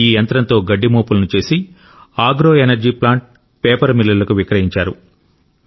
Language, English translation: Telugu, After having made the bundles, he sold the stubble to agro energy plants and paper mills